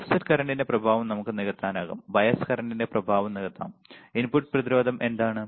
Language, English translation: Malayalam, We can compensate the effect of offset current, may compensate the effect of bias current, what is input resistance